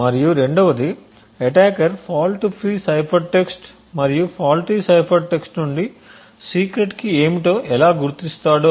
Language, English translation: Telugu, And secondly how would the attacker identify from the faulty cipher text and the fault free cipher text what the secret key is